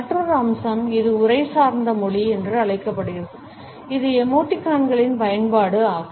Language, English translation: Tamil, Another aspect, which has been termed as the textual paralanguage is the use of emoticons